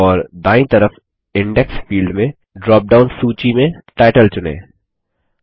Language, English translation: Hindi, And choose Title in the drop down list under the Index field on the right